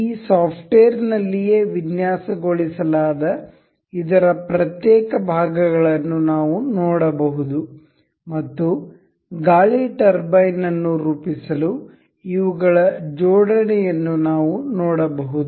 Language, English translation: Kannada, We can see the individual components of this that is designed on this software itself and we can see and we can see the assembly of this to form the wind turbine